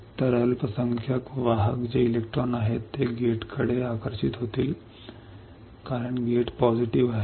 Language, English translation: Marathi, So, the minority carrier which are electrons will get attracted towards the gate, because gate is positive